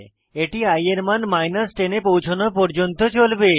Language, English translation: Bengali, This goes on till i reaches the value 11